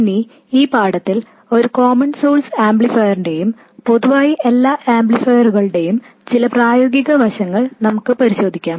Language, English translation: Malayalam, Now in this lesson we will look at some practical aspects of a common source amplifier and in general any amplifier